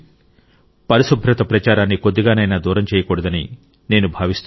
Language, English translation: Telugu, I also feel that we should not let the cleanliness campaign diminish even at the slightest